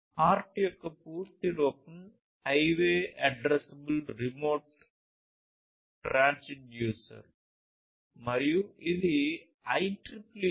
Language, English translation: Telugu, The full form of HART is Highway Addressable Remote Transducer and it is based on 802